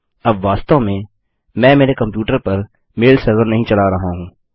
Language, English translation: Hindi, Now I am not actually running a mail server on my computer